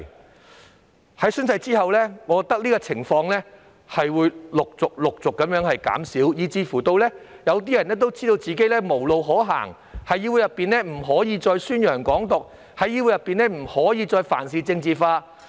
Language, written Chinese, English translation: Cantonese, 我認為在實施宣誓規定之後，這種情況會逐漸減少，有些人甚至已經知道自己無路可走，不能再在議會內宣揚"港獨"，亦不可再事事政治化。, I reckon that after the implementation of the oath - taking requirements such situations will become fewer and fewer . Some of them have even realized that they will have no way out and can no longer promote Hong Kong independence or politicize everything in DCs